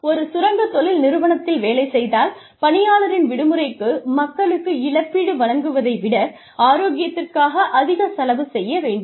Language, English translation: Tamil, If we are a mining organization, we may end up spending, much more on health, than on, say, compensating people, for their vacations